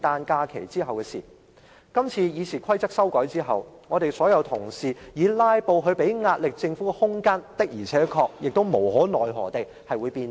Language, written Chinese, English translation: Cantonese, 假如今次《議事規則》成功被修改，所有議員日後透過"拉布"向政府施壓的空間，必定會無可奈何地被收窄。, Should RoP be successfully amended this time around Members can only reluctantly accept the fact that there will be less room for them to exert pressure on the Government through filibustering